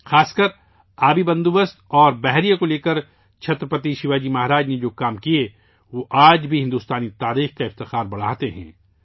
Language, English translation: Urdu, In particular, the work done by Chhatrapati Shivaji Maharaj regarding water management and navy, they raise the glory of Indian history even today